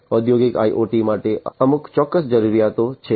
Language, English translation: Gujarati, For industrial IoT there are certain specific requirements